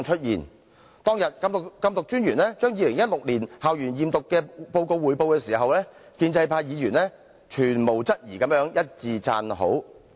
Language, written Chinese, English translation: Cantonese, 禁毒專員當天匯報2016年校園驗毒報告時，建制派議員毫無質疑一致讚好。, On that day the Commissioner for Narcotics gave a report on the results of the school drug testing scheme in 2016 which won doubtless a unanimous applause from the pro - establishment camp